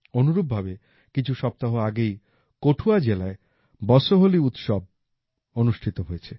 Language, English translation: Bengali, Similarly, 'BasohliUtsav' was organized in Kathua district a few weeks ago